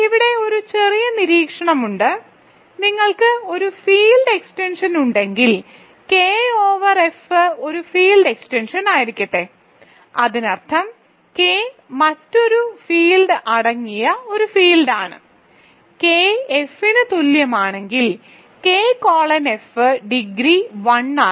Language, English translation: Malayalam, There is a small observation here which is that if you have a field extension this I have used multiple times let K over F be a field extension; that means, K is a field containing another field F then K is equal to F if and only if K colon F is 1, the degree is 1